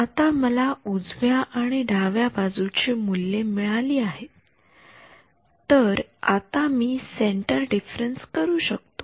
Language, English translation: Marathi, So, that I have a value on the left and the right I can do centre differences